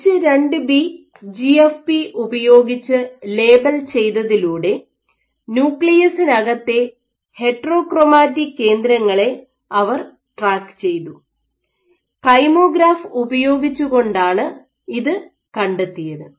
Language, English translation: Malayalam, By labeling with H2B GFP, and tracking foci they tracked the heterochromatic foci within the nuclei and what they found was this kymographs